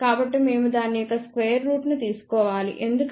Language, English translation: Telugu, So, we have to take square root of that because this is equal to r F i square